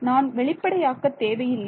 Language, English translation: Tamil, I do not need to explicitly